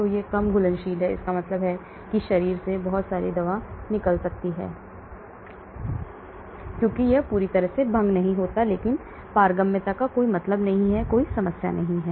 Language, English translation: Hindi, So it is got low solubility that means a lot of drug can get excreted from the body because it does not fully dissolve, but permeability there is no point, no problem at all